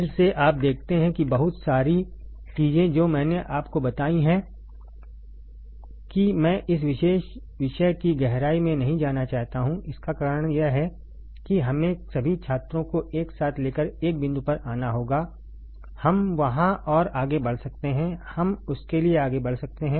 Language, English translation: Hindi, Again you see that a lot of things I told you that I do not want to go into deep depth of this particular topic the reason is that we have to take all the students together and come toward come to a point there we can advance further there we can advance for that